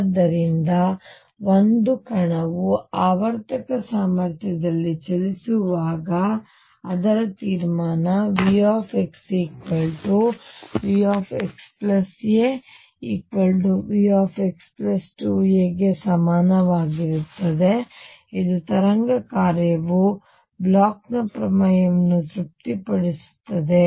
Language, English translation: Kannada, So, conclusion when a particle is moving in a periodic potential, V x equals V x plus a is equal to V x plus 2 a and so on, it is wave function satisfies the Bloch’s theorem